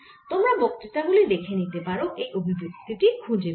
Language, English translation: Bengali, you can look at the lecture notes and you will get this expression